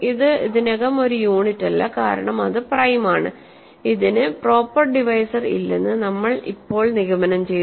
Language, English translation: Malayalam, It is already not a unit because its prime and we now concluded that it has no proper divisors